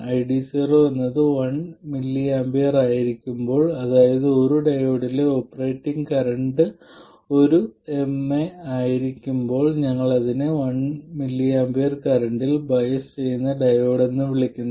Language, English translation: Malayalam, And a good value to remember is that when ID 0 is 1 millie amp, that is when the operating point current in a diode is 1 millie amp, we refer to it as the diode being biased at a current of 1 millie amp